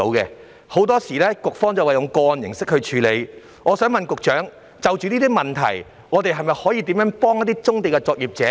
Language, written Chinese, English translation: Cantonese, 局方表示會以個案形式處理，但請問局長，就有關問題，當局會如何協助棕地作業者呢？, The Bureau says that it will deal with their applications on a case - by - case basis . Nevertheless speaking of the problems concerned may I ask the Secretary how the authorities will assist brownfield operators?